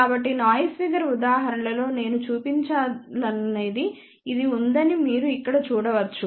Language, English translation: Telugu, So, you can see here this is similar to what I had shown for the noise figure example